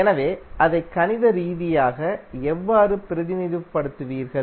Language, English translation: Tamil, So how you will represent it mathematically